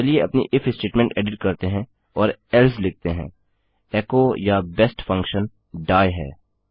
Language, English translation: Hindi, Lets edit our if statement and say else echo or instead the best function is die